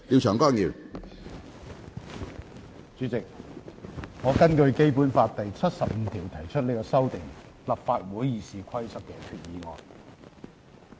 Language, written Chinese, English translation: Cantonese, 主席，我根據《基本法》第七十五條提出這項修訂立法會《議事規則》的決議案。, President pursuant to Article 75 of the Basic Law I now propose the resolution to amend the Rules of Procedure of the Legislative Council